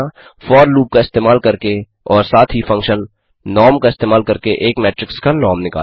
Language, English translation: Hindi, Calculate the norm of a matrix using the for loop and also using the function norm() 6